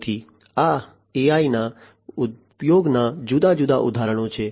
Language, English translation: Gujarati, So, these are different examples of use of AI